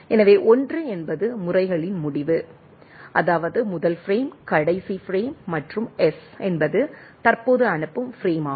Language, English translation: Tamil, So, 1 is the end of methods that is what we say first frame, last frame and S is the currently send frame